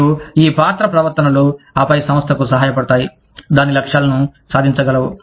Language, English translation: Telugu, And, these role behaviors, then help the organization, achieve its objectives